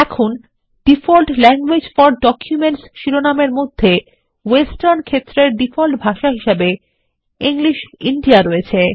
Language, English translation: Bengali, Now under the headingDefault languages for documents, the default language set in the Western field is English India